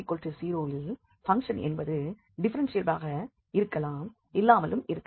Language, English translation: Tamil, That at z equal to 0 the function may be differentiable may not be differentiable